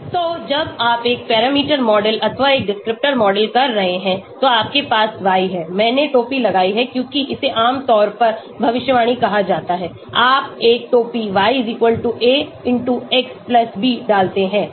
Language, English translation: Hindi, So when you are doing a one parameter model or one descriptor model, you have y, I have put hat because this is called prediction normally you put a hat y=a*x+b